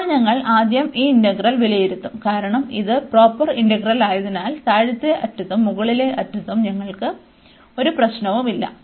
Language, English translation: Malayalam, Now, we will evaluate first this integral, because it is a proper integral we have no problem at the lower end and also at the upper end